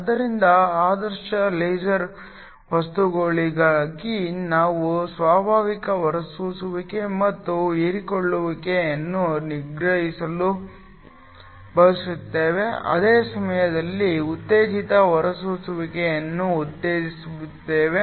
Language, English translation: Kannada, So, For ideal laser material we want to suppress the spontaneous emission and absorption at the same time promote stimulated emission